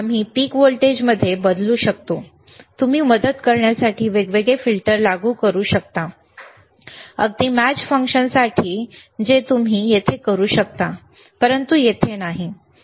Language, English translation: Marathi, wWe can change the peak to peak voltage, you can you can apply different filters to aid, even to match function, which you can we here but not you cannot do here